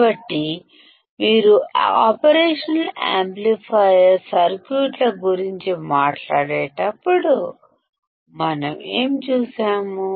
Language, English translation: Telugu, So, when you talk about operational amplifier circuits; what have we seen